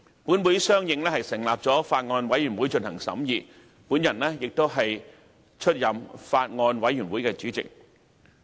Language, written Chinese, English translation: Cantonese, 本會相應成立法案委員會進行審議，而我亦出任該法案委員會主席。, Accordingly a Bills Committee was appointed to scrutinize the Bill and I was the Chairman of the Bills Committee